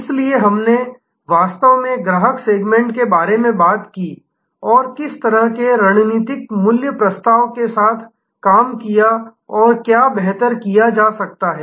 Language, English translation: Hindi, That is why we actually talked about the customer segment served and served with what kind of strategic value proposition and what can be done better